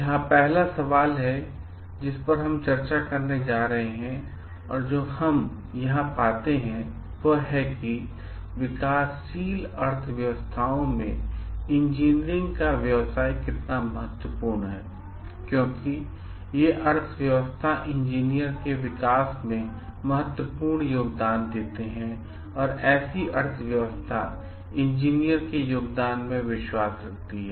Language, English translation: Hindi, This is the first question that we are going to discuss today and what we find over here is like with the developing economies in place which like as a put special place of interest in professions like engineers because, they make enormous contribution in the development of economy and like because the trust is placed in these economies in the engineers